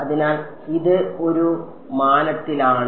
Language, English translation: Malayalam, So, this is in one dimension